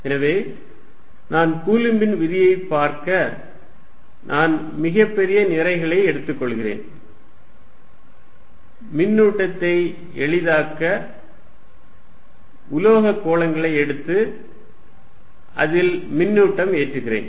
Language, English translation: Tamil, So, if I want to look at Coulomb's law I take too large masses and the easiest to charge are metallic spheres and put charge